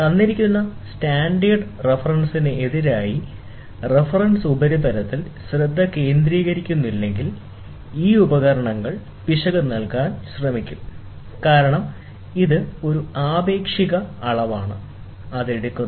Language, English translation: Malayalam, If the reference surface is not butting against a given standard reference, then these instruments will try to give error, because it is a relative measurement, which it takes